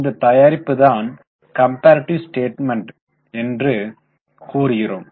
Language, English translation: Tamil, So, what we prepare is known as a comparative statement